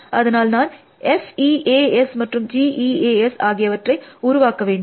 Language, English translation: Tamil, So, I must generate F E A S and G E A S